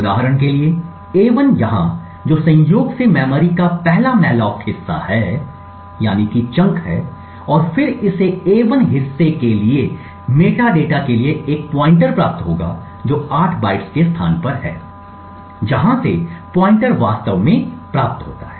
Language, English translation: Hindi, For example a1 over here which incidentally is the first malloc chunk of memory and then it would obtain a pointer to the metadata for a1 chunk which is at a location 8 bytes from where the pointer is actually obtained